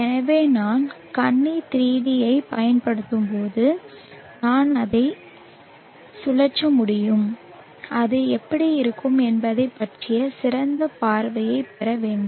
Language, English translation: Tamil, So as I use the mesh 3d I should be able to rotate it and just get a much better view of how it would look